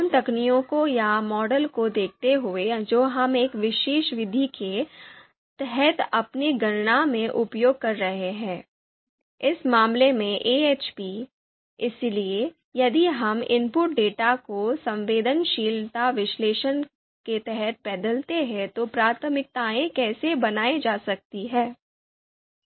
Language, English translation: Hindi, So given the given the you know techniques or model that we are using in in our calculation under a particular method, so in this case AHP, so given how the priorities are going to be created if we change the input data, you know if we vary the input data, how that is going to impact the results